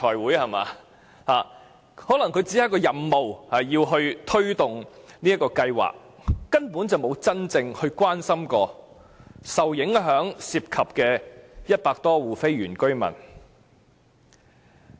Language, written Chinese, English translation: Cantonese, 官員可能只是有任務要推動這項計劃，根本沒真正關心受影響的100多戶非原居民。, Perhaps they were obliged to take forward the development plan and had never really cared about the non - indigenous residents of the 100 or so households that had been affected